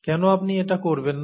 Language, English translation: Bengali, Why don’t you do that